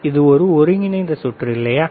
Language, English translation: Tamil, This is the integrated circuit, right